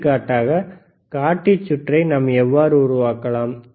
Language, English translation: Tamil, For example, how you can fabricate indicator circuit